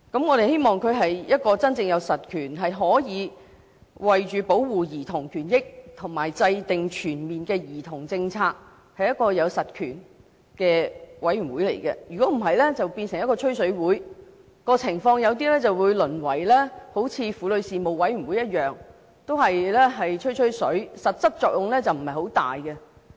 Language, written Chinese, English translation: Cantonese, 我們希望這個委員會真正有實權，可以為保護兒童權益而制訂全面的兒童政策，否則只會變成一個"吹水會"，情況或會像婦女事務委員會一樣，只是淪為"吹吹水"，實際作用不大。, We hope that the Commission will truly have substantive powers to draw up comprehensive policies on children for the protection of childrens rights or else it would become nothing but a venue for empty chats . The situation would probably be like the Womens Commission which has been degenerated into a forum for chit - chat and is actually of little use